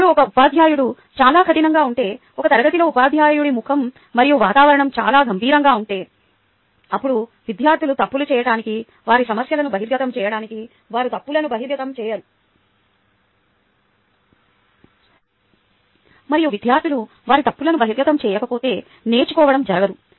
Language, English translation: Telugu, now, if a teacher is very strict, if a teacher has a very serious face and atmosphere in the class is very serious, then the students wont feel free to commit mistakes, to reveal their problems, reveal their mistakes